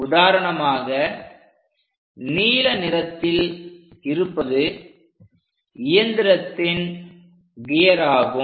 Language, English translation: Tamil, For example, this blue one is the machine gear